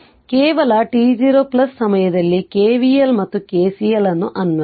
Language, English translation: Kannada, So, at the time of just your at the time of t 0 plus you apply KVL and KCL right